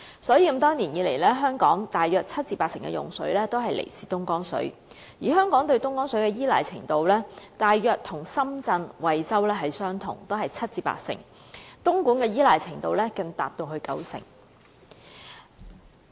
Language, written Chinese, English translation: Cantonese, 所以，多年來，香港大約七成至八成的用水都來自東江水，而香港對東江水的依賴程度大約與深圳、惠州相同，都是七成至八成，而東莞的依賴程度更高達九成。, Therefore over the years about 70 % to 80 % of our water supply comes from Dongjiang water . The degree of reliance on Dongjiang water is roughly the same as Shenzhen and Huizhou which is also 70 % to 80 % while the degree of reliance in Dongguan is even as high as 90 %